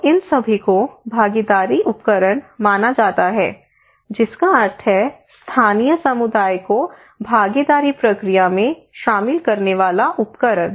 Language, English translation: Hindi, So these all are considered to be participatory tools, that means a tool to involve local community into the participatory process